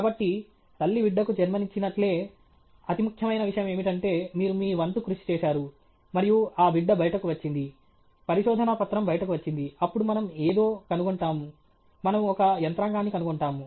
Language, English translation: Telugu, So just like a mother giving birth to a child, the most important thing is you have done your part and that baby has come out the paper has come out then we will find out something, we will find out some mechanism